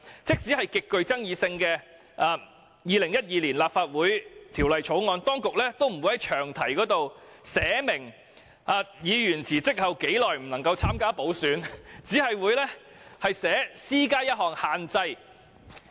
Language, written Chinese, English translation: Cantonese, 即使是極具爭議性的《2012年立法會條例草案》，當局亦沒有在詳題中寫明議員在辭職後多久不可以參加補選，只訂明"施加一項限制"而已。, Even with the controversial Legislative Council Amendment Bill 2012 the authorities had not specified a period of restriction for a resigning Member to stand in any by - election in the long title but just provided that the legislation would impose a restriction